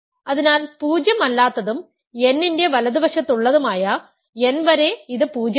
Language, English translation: Malayalam, So, up to n anything that is non zero and to the right of n, it is 0